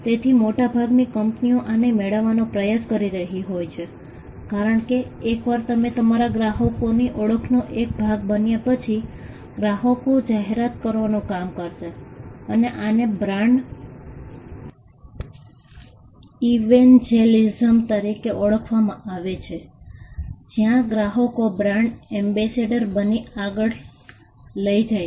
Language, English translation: Gujarati, So, this is also what most companies are trying to get to because, once you are able to become a part of your customers identity then, the customers would do the job of advertising and this is referred to as brand evangelism, where the customers go forward and become brand ambassadors